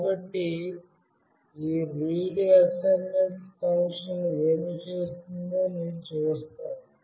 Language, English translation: Telugu, So, I will see what this readsms() function does